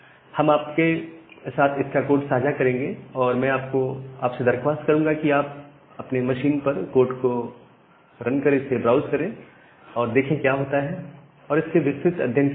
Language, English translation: Hindi, We will share the code with you, we will request you to browse through the code run into your own machine and see what is happening and understand it more details